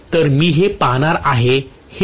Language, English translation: Marathi, So I am going to see that this is going to be 2I